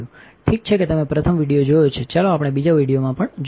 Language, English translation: Gujarati, Ok you have seen the first video right let us see in the second video as well